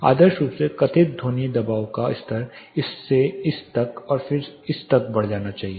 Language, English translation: Hindi, Ideally the perceived sound pressure level should be increasing from this to this to this and then to this